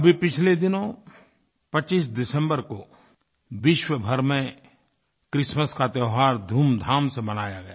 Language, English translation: Hindi, Over the last few days, the festival of Christmas was celebrated across the world with gaiety and fervor